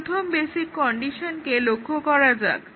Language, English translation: Bengali, So, let us see the first basic condition